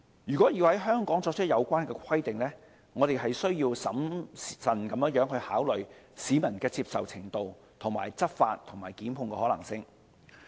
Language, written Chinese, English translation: Cantonese, 如果要在香港作出有關規定，我們需要審慎考慮市民的接受程度、執法和檢控的可行性。, If such requirements are to be introduced in Hong Kong we need to carefully consider public acceptance and the feasibility of enforcing such requirements and instituting prosecutions